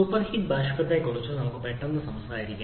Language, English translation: Malayalam, Now let us quickly talk about super heated vapor